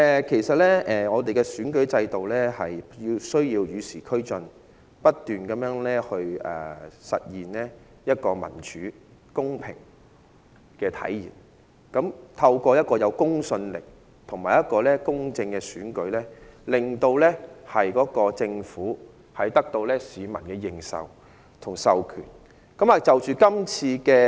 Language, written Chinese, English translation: Cantonese, 其實，我們的選舉制度需要與時俱進，不斷實現一個民主、公平的體制，透過一個有公信力及公正的選舉，令政府得到市民的認受及授權。, As a matter of fact our electoral system should keep abreast of the times continue to manifest a democratic and fair system and allow the Government to gain recognition and mandate from the people through credible and fair elections